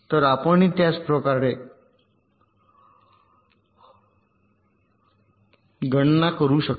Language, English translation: Marathi, so this you can calculate similarly